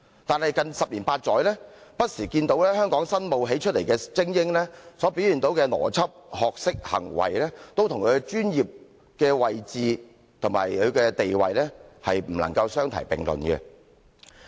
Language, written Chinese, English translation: Cantonese, 但是，近十年八載，香港新冒起出來的精英不時所表現的邏輯、學識、行為，都跟其專業位置和地位不能相提並論。, However in the past 10 years or so the newly emerged elites in Hong Kong on and off displayed a kind of logic knowledge and behaviour that rarely conformed with their professional status and qualifications